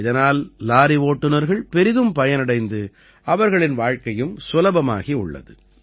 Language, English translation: Tamil, Drivers of trucks have also benefited a lot from this, their life has become easier